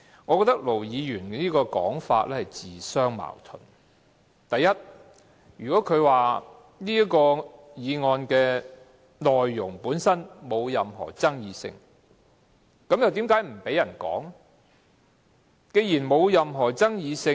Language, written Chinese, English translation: Cantonese, 我認為盧議員的說法自相矛盾：第一，如果他認為"察悉議案"的內容毫無爭議性，那為何他不讓議員討論？, I am of the view that Ir Dr LOs remarks are contradictory first of all if he considers the contents of the take - note motion uncontroversial why does he not let Members discuss?